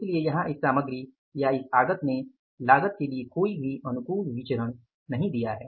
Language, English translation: Hindi, So, here this product has not caused, this input has not caused any favorable variance for the cost